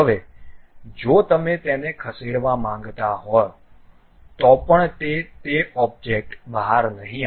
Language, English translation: Gujarati, Now, even if you want to really move it, they would not move out of that object